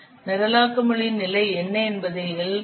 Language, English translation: Tamil, L represents the what the level of the programming language